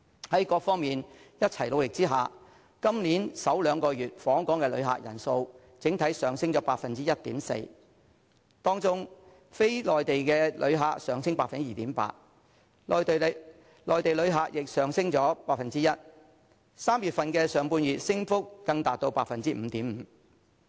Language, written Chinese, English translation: Cantonese, 在各方面一起努力下，今年首兩個月的訪港旅客人數整體上升 1.4%， 當中非內地旅客上升 2.8%， 內地旅客亦上升 1%；3 月上半月的升幅更達至 5.5%。, With the concerted efforts of various sectors the number of overall visitor arrivals has increased by 1.4 % in the first two months of this year . In particular non - Mainland visitors have risen by 2.8 % while Mainland visitors have increased by 1 % ; and the overall visitor arrivals in the first half of March has even increased up to 5.5 %